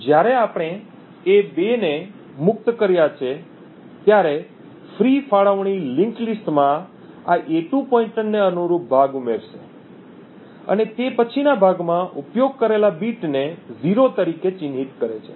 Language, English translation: Gujarati, So, when we have freed a2 the free allocation adds the chunk corresponding to this a2 pointer in a linked list and it marks then the in use bit in the next chunk as 0